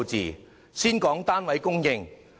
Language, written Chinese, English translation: Cantonese, 讓我先談談單位供應。, Let me begin with the supply of flats